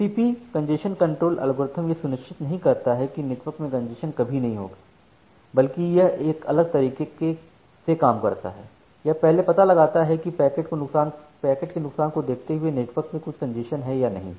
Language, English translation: Hindi, So, TCP congestion control algorithm does not ensure that congestion will never happen in the network rather it works in a different way, like it first finds out whether there is certain congestion in the network by observing the packet loss